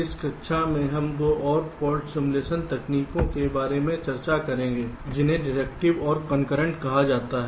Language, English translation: Hindi, so in this class ah, we shall be discussing two more fault simulation algorithms, called deductive and concurrent